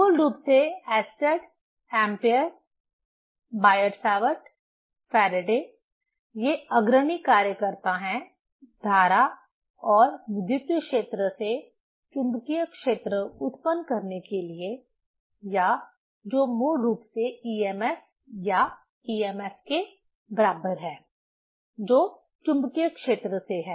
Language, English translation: Hindi, Basically Oersted, Ampere, Biot Savart, Faraday are pioneer workers for generating magnetic field from the current and electric field or that is basically emf or equivalent to emf, that is from the magnetic field